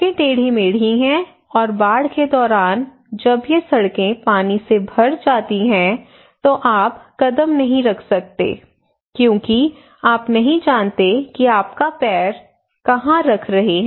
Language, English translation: Hindi, And the roads are zig zagged, so when these roads are filled by water and then during the flood or inundations that you cannot step in we do not know where you are putting your leg okay